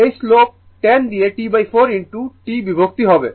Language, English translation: Bengali, This slope 10 divided by T by 4 into t right